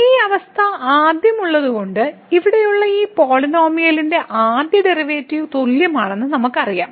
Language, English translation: Malayalam, So, having this condition first we know that the first derivative of this polynomial here is equal to